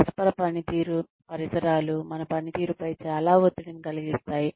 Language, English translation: Telugu, Intercultural environments can place, a lot of stress, on our performance